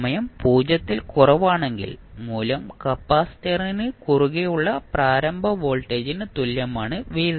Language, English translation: Malayalam, For time t less than 0 the value is equal to the initial voltage across the capacitor that is v naught